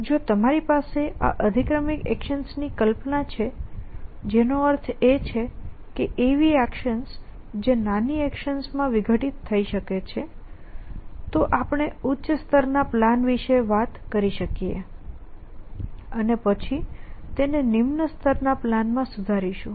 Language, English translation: Gujarati, If you have this notion of hypothetical actions which means action which can decomposition in to smaller actions then we can talk about high level plan and then refining it in to lower level plan